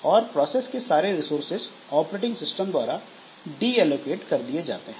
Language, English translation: Hindi, And all the resources of the process are deallocated by the operating system